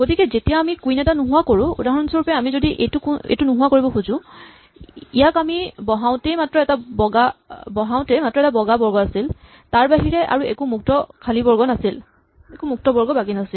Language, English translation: Assamese, So, when it comes to undoing it for a instance, now we want to undo this particular thing now this when we put it had only one white square, there was no free squares other than this